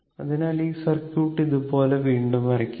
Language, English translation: Malayalam, So, this circuit is drawn for you